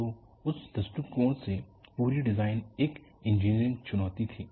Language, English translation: Hindi, So, from that point of view, the whole design was an engineering challenge